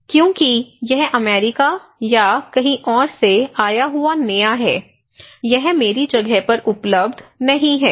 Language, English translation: Hindi, Because this is a new came from America or somewhere else, this is not available in my place